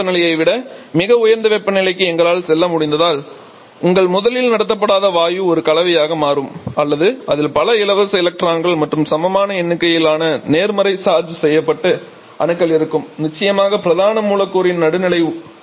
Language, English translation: Tamil, So, if we are able to go to very high temperatures well above the threshold temperature then your originally non conducting gas becomes a combination of or it will contain several free electrons and also equal number of positively charged atoms along with of course the neutral body of the main molecules